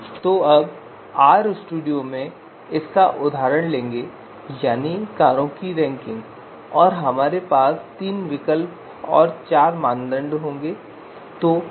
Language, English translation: Hindi, So now in RStudio we will take this example you know ranking of cars and we are going to have three alternatives and four criteria